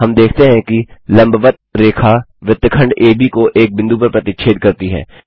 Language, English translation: Hindi, We see that the perpendicular line intersects segment AB at a point